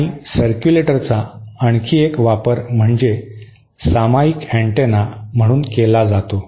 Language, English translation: Marathi, And one other use of circulator is what is known as a shared antenna